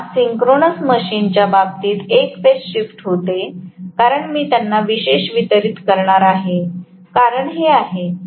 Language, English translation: Marathi, Whereas in the case of a synchronous machine there is a phase shift because I am going to have them specially distributed that is the reason right